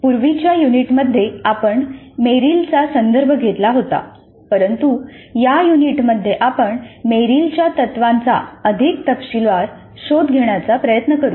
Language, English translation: Marathi, In earlier units we referred to Meryl but in this unit we will try to explore Meryl's principles in greater detail